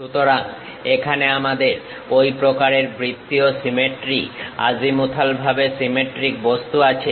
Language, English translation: Bengali, So, here we have such kind of circular symmetry, azimuthally symmetric object